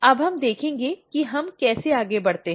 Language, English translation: Hindi, Now, we will see how we proceed